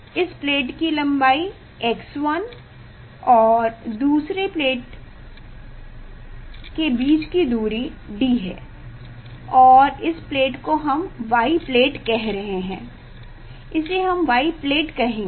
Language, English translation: Hindi, this plate length is x 1 and this separation of the plate is capital D and from this plate it is a we are telling y plate it is a we are telling y plate